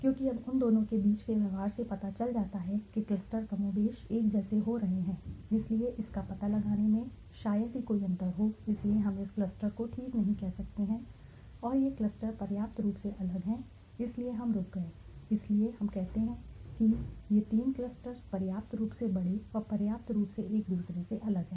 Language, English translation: Hindi, Because now the behavior between the you know the clusters is getting more or less similar, so there is hardly any difference to be found out, so we cannot say okay this cluster and that cluster are sufficiently different so there we stopped, so and we say okay these three clusters are sufficiently large and sufficiently different from each other